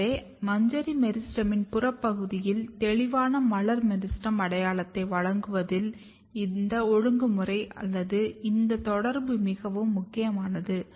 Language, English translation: Tamil, So, this regulatory network or this interaction is very crucial in giving a clear floral meristem identity at the peripheral region of the inflorescence meristem